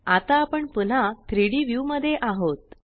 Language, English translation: Marathi, I am selecting the 3D view